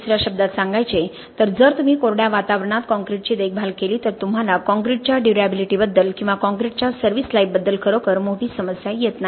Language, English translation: Marathi, In other words if you maintain concrete in a dry environment you do not really have a major problem with the durability of the concrete or service life of the concrete